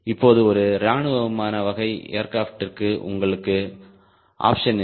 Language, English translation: Tamil, right now for a military air type aircraft you dont have option